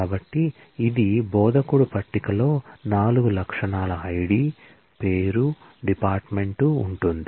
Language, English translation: Telugu, So, it will the instructor table has 4 attributes ID, name, dept